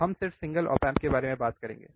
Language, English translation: Hindi, So, we are talking about just a single op amp